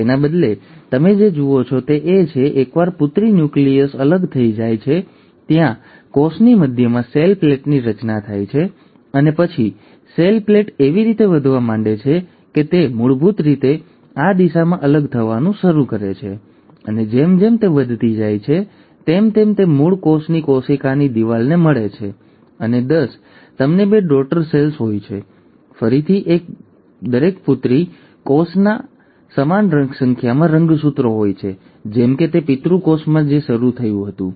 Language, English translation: Gujarati, Instead, what you see is once the daughter nuclei have segregated, there is a formation of cell plate right at the centre of the cell and then the cell plate starts growing in a fashion that it starts basically moving in this direction and as it goes on growing, it ends up meeting the original cell's cell wall and ten you end up having two daughter cells, again, each daughter cell having the same number of chromosomes as what it started with in the parent cell